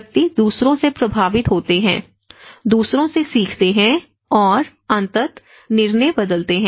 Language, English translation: Hindi, Individuals are influenced by others, learn from others and eventually, change the decision